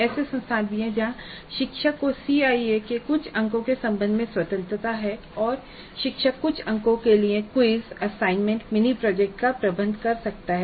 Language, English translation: Hindi, There are also institutes where the teacher has freedom with respect to certain marks of the CIE and the teacher can administer quizzes, assignments, mini projects for certain marks